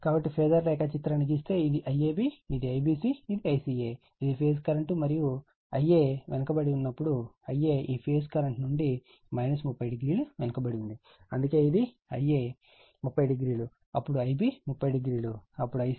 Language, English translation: Telugu, So, if you draw the phasor diagram, this is my I AB, this is my I BC this is my I CA, this is my phase current and this is when I a is lagging I a is lagging from this phase current angle minus 30 degree, that is why this is I a 30 degree then, I b 30 then I c